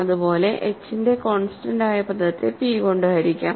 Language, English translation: Malayalam, Similarly, constant term of h is divisible by p